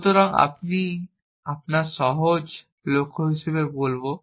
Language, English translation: Bengali, So, that is what we will call it as simple goals